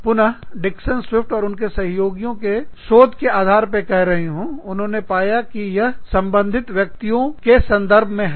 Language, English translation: Hindi, And, again, i am telling you, based on the research, by Dixon Swift & Associates, they found that, these are the references of, concerned people